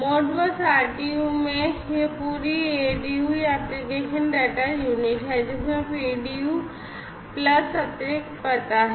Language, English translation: Hindi, So, here it is in the Modbus RTU and, this is the whole ADU the application data unit, which has the PDU plus the additional address